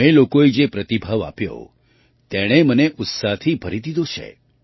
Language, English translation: Gujarati, The response you people have given has filled me with enthusiasm